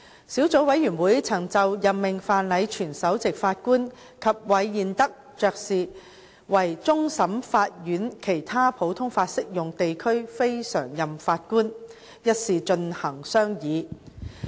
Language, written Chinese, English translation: Cantonese, 小組委員會曾就任命范禮全首席法官及韋彥德勳爵為終審法院其他普通法適用地區非常任法官一事進行商議。, The Subcommittee deliberated on the appointment of the Honourable Chief Justice Robert FRENCH AC and the Right Honourable Lord REED Lord REED as non - permanent Judges from other common law jurisdictions CLNPJs to the Court of Final Appeal